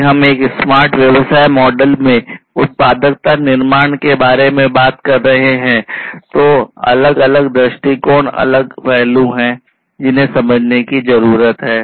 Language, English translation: Hindi, So, you know, if we are talking about the value creation in a smart business model, there are different perspectives different aspects that will need to be understood